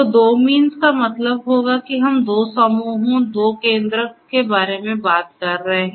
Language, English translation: Hindi, So, 2 means would mean that we are talking about two clusters, two centroids